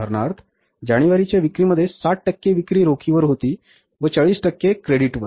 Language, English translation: Marathi, From the sales of January, say for example, 60% sales were on cash, 40% are on credit